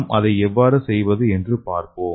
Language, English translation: Tamil, So let us see how we can make it